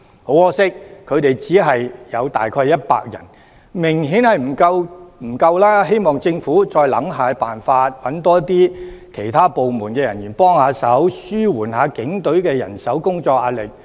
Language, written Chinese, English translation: Cantonese, 很可惜，他們只有大約100人，明顯不足夠，希望政府再想想辦法，多找其他部門人員幫忙，紓緩一下警隊的人手及工作壓力。, Regrettably there are only about 100 of them . This is obviously inadequate . I hope the Government will reconsider recruiting more officers from some other departments to relieve the manpower and work pressure of the Police Force